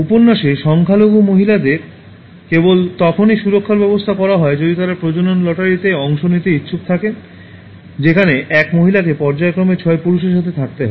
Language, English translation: Bengali, Women, who are less in number in the novel are given security only if they are willing to participate in the procreation lottery in which one woman has to live with six men periodically